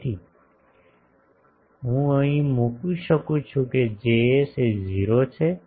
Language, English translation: Gujarati, So, that is why I can put that Js is 0